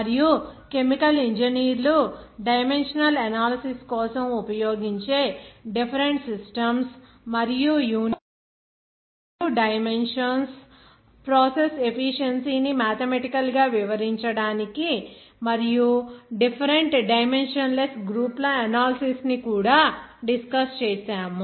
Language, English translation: Telugu, And also, we have discussed that various systems and even units and dimensions of how that chemical engineers can use those units for the dimensional analysis to describe the process efficiency mathematically as well as its analysis by the different dimensionless groups